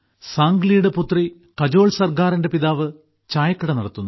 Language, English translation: Malayalam, Sangli's daughter Kajol Sargar's father works as a tea vendor